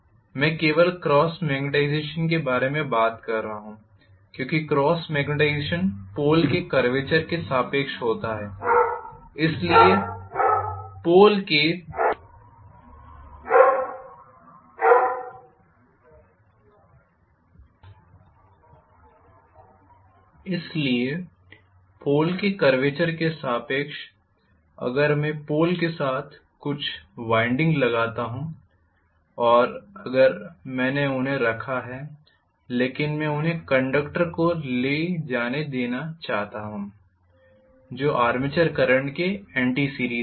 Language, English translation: Hindi, I am talking about only cross magnetization because the cross magnetization takes place along the curvature of the pole, so along the curvature of the pole if I put some windings along with the pole itself and if I placed them but I want them to carry a current which is in anti series with the armature current